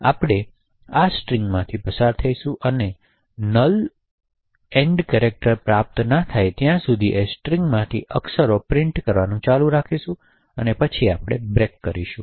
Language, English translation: Gujarati, So, we pass through this string and continue to print characters from the string until we obtain the null termination character and then we break from this